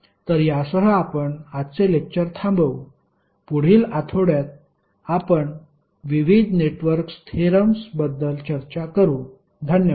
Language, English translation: Marathi, So, with this we will close today’s session, in next week we will discuss about the various network theorems, thank you